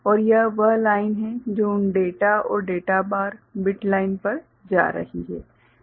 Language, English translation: Hindi, And this is the line that is going to those data and data bar, bit lines right